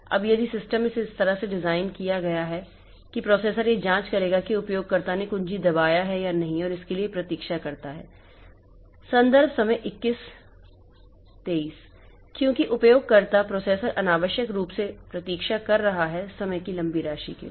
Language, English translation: Hindi, Now, if the system is designed like this that the processor will check whether the user has placed some key or not and it waits for that, then it becomes clumsy because the user the processor is waiting unnecessarily for a long amount, long amount of time